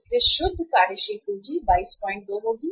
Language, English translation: Hindi, So net working capital will be 22